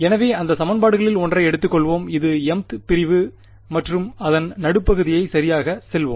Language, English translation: Tamil, So, let us take one of those equations that corresponded to let us say the mth segment and the midpoint of it right